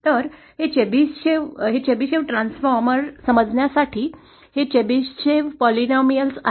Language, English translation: Marathi, So the Chebyshev so in order to understand the Chebyshev transformer, these are the Chebyshev polynomials